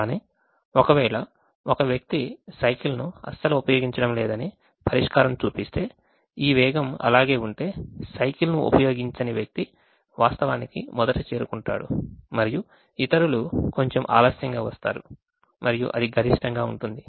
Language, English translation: Telugu, but if the solution shows that one person is not using the cycle at all, the these speeds are such that the person not using the cycle actually reaches first and the others come slightly late and it's maximize